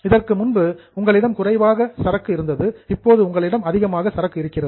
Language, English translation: Tamil, So, earlier you have got less inventory, now you have got more inventory